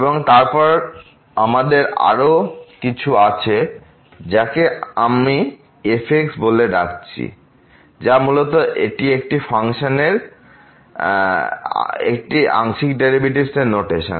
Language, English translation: Bengali, And then we have some other function which I am calling as which is basically the notation of this a partial derivatives